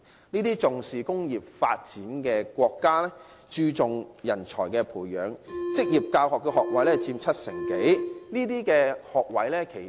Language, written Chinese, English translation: Cantonese, 這些重視工業發展的國家，注重人才培養，職業教育學位佔整體學位七成多。, In these countries where industrial developments and manpower training have been emphasized vocational education school places account for over 70 % of the total